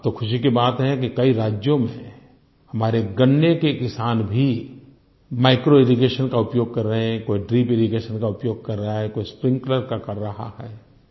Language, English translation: Hindi, At present, it is indeed good news that in many states, even sugarcane farmers are using micro irrigation, some are using drip irrigation and some are using sprinklers